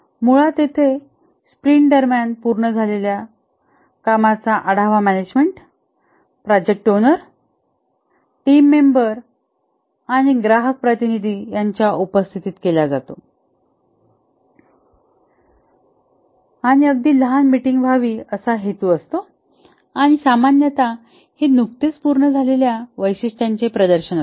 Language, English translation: Marathi, Basically here the work that was accomplished during the sprint are reviewed in presence of the management, the product owner, the team member and also customer representative intended to be a very short meeting and typically it's a demonstration of the features that have been just completed